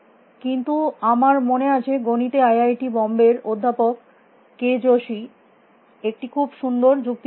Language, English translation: Bengali, But, I remember in mathematics professor k Joshi from IIT Bombay had given a very nice argument